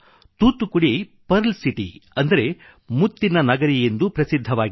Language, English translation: Kannada, Thoothukudi is also known as the Pearl City